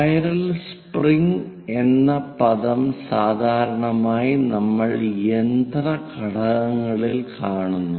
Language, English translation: Malayalam, So, in terms of a spiral springs, we come across in machine elements